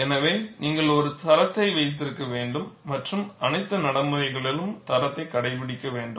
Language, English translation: Tamil, So, you need to have a standard and adhere to the standard in all the practices